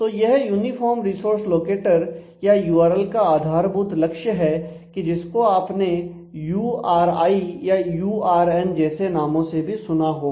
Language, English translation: Hindi, So, this is the basic purpose of the uniform resource locator or URLl incidentally you may have hard the names like URI and URN in addition to URL